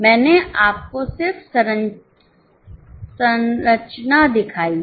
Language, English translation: Hindi, I have just shown you the structure